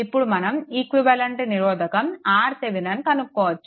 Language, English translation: Telugu, Then you find out what is the equivalent resistance R Thevenin